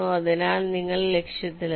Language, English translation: Malayalam, so you have reached the target